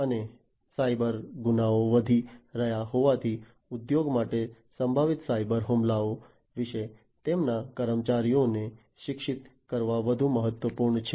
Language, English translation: Gujarati, And as cyber crimes are increasing it is more important for the industry to educate their employees about potential cyber attacks